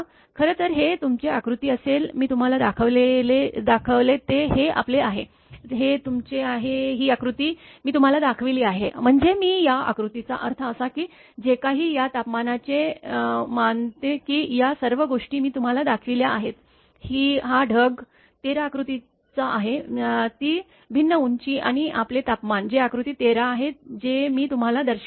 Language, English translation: Marathi, Actually it will be your this figure I have shown you that is your, this your, this figure I have shown you I mean this figure that cloud whatever that figure that temperature all these things I have showed you that this cloud one that is figure 13, that different height and your temperature that is figure 13 that I have showed you